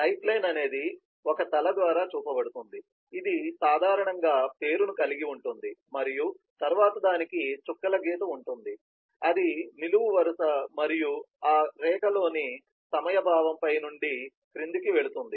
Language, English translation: Telugu, lifeline is shown by a head, which has typically the name and then it has a dotted dashed line that goes below, the vertical line and the sense of time on that line goes from top to bottom is the advancing time